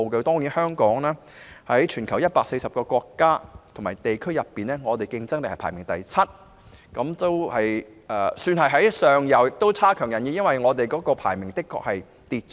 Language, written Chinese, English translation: Cantonese, 在全球140個國家及地區，香港的競爭力排名第七，算是躋身前列位置，但亦差強人意，因為排名較之前下跌了。, Hong Kongs competitiveness ranks seventh among 140 countries and regions around the world . The ranking is considered to be in the forefront but is still unsatisfactory because our ranking has fallen compared with the past